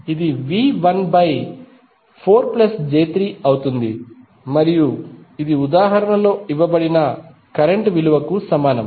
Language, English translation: Telugu, It will be V 1 upon 4 plus j3 and this will be equal to the current value which is given in the example